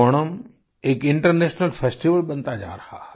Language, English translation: Hindi, Onam is increasingly turning out to be an international festival